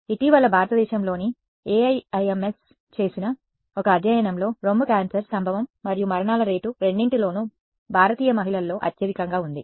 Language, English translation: Telugu, So, there was a study done by AIIMS in India very recently and the rated breast cancer is having the highest rate of both incidence and mortality amongst Indian woman